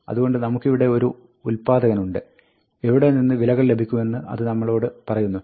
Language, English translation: Malayalam, So, we have a generator, which tells us where to get the values from